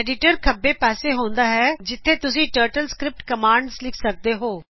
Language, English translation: Punjabi, Editor is on the left, where you can type the TurtleScript commands